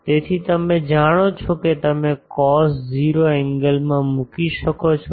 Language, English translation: Gujarati, So, that you know you can put the in the cos 0 angle